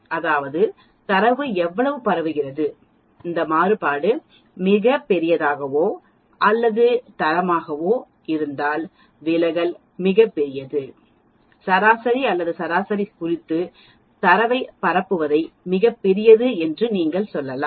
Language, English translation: Tamil, That means, how much the data is spread, If this variance is very large or the standard deviation is very large, you can tell the data spread with respect to the mean or the average is also very, very large